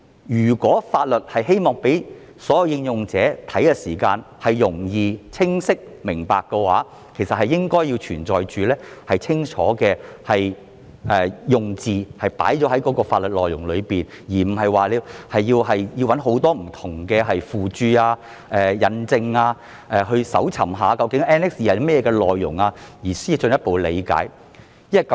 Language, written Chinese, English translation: Cantonese, 如果我們希望讓所有應用者查閱法律時能夠容易和清晰理解的話，便應該將清楚的用字放在法律內容中，而不是要人翻尋很多不同的附註、引證，還要搜尋究竟 Annex II 有甚麼內容後，才能進一步理解有關條文。, If we wish that all users can understand the provisions easily and clearly when reading the law the wording in the law should be very clear . People should not be required to read many different footnotes and citations and go through the content of Annex II before they can further understand the provisions